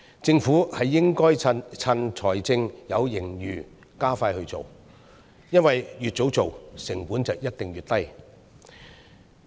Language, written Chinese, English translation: Cantonese, 政府應該趁財政有盈餘，加快推行，因為越早進行，成本一定越低。, The Government should expedite the implementation while there is a fiscal surplus because the earlier it is implemented definitely the less it will cost